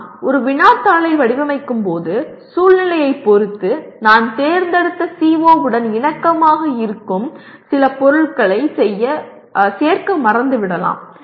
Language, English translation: Tamil, When I design a question paper, depending on the situation, I may forget to include some items at the, which are in alignment with the, my selected CO